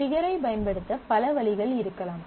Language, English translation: Tamil, So, there could be several ways trigger can be used